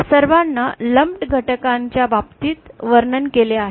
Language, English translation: Marathi, They have all described in terms of lumped elements